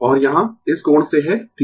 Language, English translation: Hindi, And here from this angle is theta